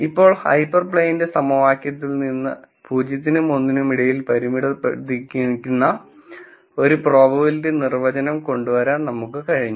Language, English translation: Malayalam, So now, from the equation for the hyper plane, we have been able to come up with the definition of a probability, which makes sense, which is bounded between 0 and 1